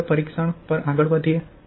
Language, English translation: Gujarati, Now let us move on the testing